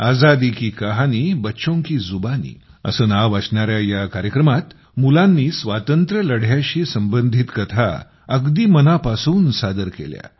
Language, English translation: Marathi, In the programme, 'Azadi Ki Kahani Bachchon Ki Zubani', children narrated stories connected with the Freedom Struggle from the core of their hearts